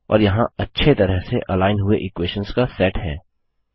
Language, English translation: Hindi, And there is our perfectly aligned set of equations